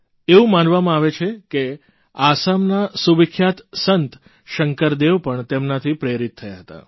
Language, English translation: Gujarati, It is said that the revered Assamese saint Shankar Dev too was inspired by him